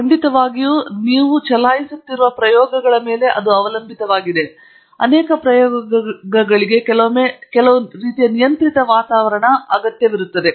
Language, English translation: Kannada, Of course it depends on what experiments you are running, but many experiments will often require a some kind of a controlled atmosphere